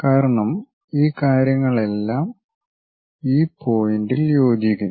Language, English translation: Malayalam, Because all these things are coinciding at this point